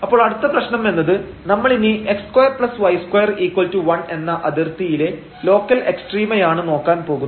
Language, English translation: Malayalam, So, the next problem will be that we will look now for the local extrema on the boundary the x square plus y square is equal to 1